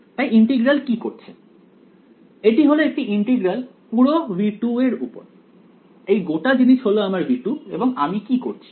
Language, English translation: Bengali, So, what is this integral doing this is an integral over entire v 2 right this whole thing is my v 2 and what am I doing